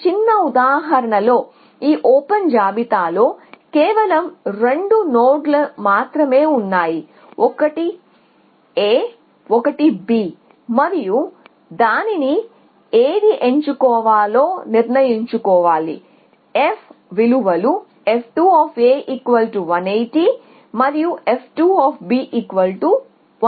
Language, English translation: Telugu, So, in this small example there are only two nodes in the open list, one is A one is B and it has to decide which one to pick it uses is f values f 2 is 180 f 2 of A is 180 and f 2 of B is 170